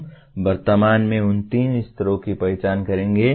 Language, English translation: Hindi, We will presently identify those three levels